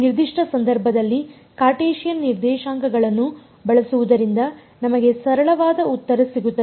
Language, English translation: Kannada, In this particular case it turns out that using Cartesian coordinates gives us a simpler answer